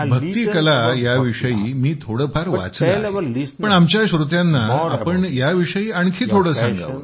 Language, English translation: Marathi, I have read a little about Bhakti Art but tell our listeners more about it